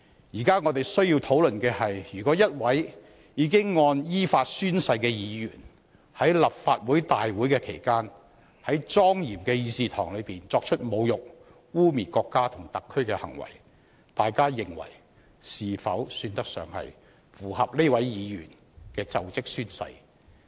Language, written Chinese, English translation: Cantonese, 現時我們需要討論的是，如果一位已依法宣誓的議員在立法會大會期間，在莊嚴的議事堂作出侮辱、污衊國家和特區的行為，大家認為是否算得上符合這位議員的就職宣誓？, What we need to discuss now is that if a Member having taken his oath in accordance with law has done acts to insult and smear the country and SAR in the solemn Chamber during a Legislative Council meeting do Members think that this Member has lived up to the oath taken by him upon assumption of office?